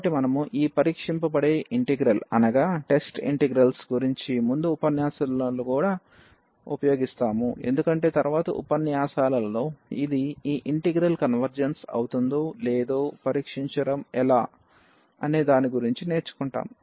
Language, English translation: Telugu, So, here we also use in further lectures about this test integrals because in the next lectures we will learn about how to how to test whether this converge this integral converges or it diverges without evaluating them